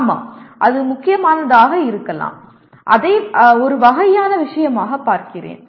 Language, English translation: Tamil, Yes, it could be important, let me look at it kind of thing